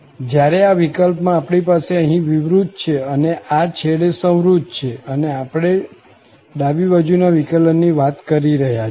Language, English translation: Gujarati, Whereas, in this case, we have open here in this end and close it at this end, then we are talking about the left derivative